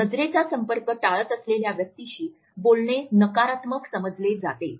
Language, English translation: Marathi, Talking to a person with in avoidance of eye contact passes on negative connotations